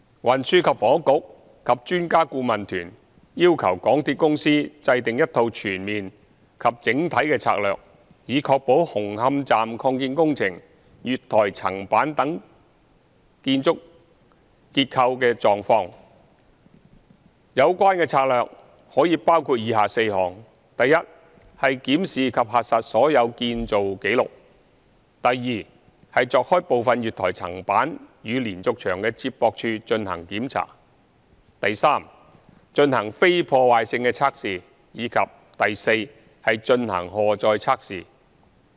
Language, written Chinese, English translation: Cantonese, 運輸及房屋局及專家顧問團要求港鐵公司制訂一套全面及整體的策略，以確認紅磡站擴建工程月台層板等建築結構的狀況，有關策略可以包括以下4項：一檢視及核實所有建造紀錄；二鑿開部分月台層板與連續牆的接駁處進行檢查；三進行非破壞性測試；及四進行荷載測試。, The Transport and Housing Bureau and the EAT required the MTRCL to formulate a holistic overall strategy to ascertain the condition of the architectural structure of the platform slabs of Hung Hom Station Extension works which may include the following four items 1 to review and verify all works records; 2 to carry out physical investigation for which opening up and inspection of some of the connections between the platform slabs and the diaphragm walls are required; 3 to conduct non - destructive tests; and 4 to implement a load test